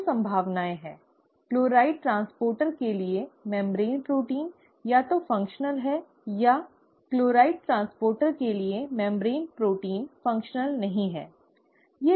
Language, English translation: Hindi, There are two possibilities; the membrane protein for the chloride transporter, is either functional or the membrane protein for the chloride transporter is not functional, right